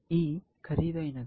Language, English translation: Telugu, E looks expensive